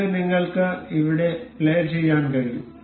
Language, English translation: Malayalam, This is you can play it over here